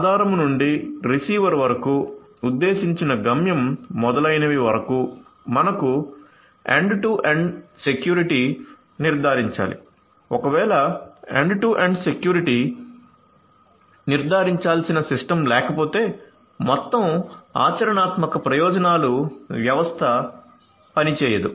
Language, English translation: Telugu, So, from the source to the receiver to the intended destination etcetera, end to end security has to be ensured otherwise the system if you do not have a system which has ensured end to end security the system as a whole is not going to work for all practical purposes